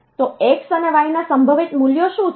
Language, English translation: Gujarati, What are the values of probable values of x and y